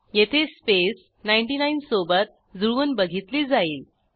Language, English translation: Marathi, Here, it compares the space with 99